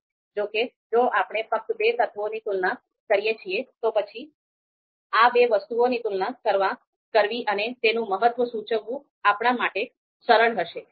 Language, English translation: Gujarati, However, if we are just comparing you know just two elements, then it might be easier for us to you know you know compare these two and indicate the importance